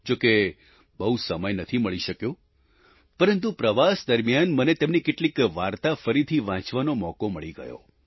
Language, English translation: Gujarati, Of course, I couldn't get much time, but during my travelling, I got an opportunity to read some of his short stories once again